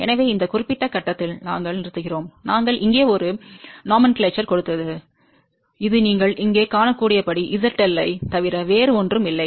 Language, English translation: Tamil, So, we stop at this particular point and we gave a nomenclature here which is nothing but Z L as you can see here